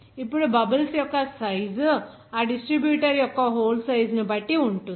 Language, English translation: Telugu, Now that the size of the bubbles will be depending on that hole size of that distributor